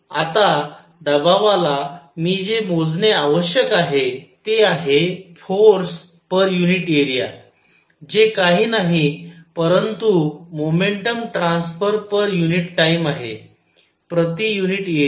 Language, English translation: Marathi, Now, for pressure what I need to calculate is force per unit area which is nothing, but momentum transfer per unit time; per unit area